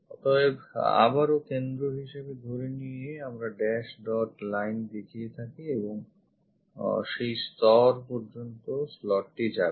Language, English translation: Bengali, So, supposed to be center again we show it by dash dot line and this slot goes up to that level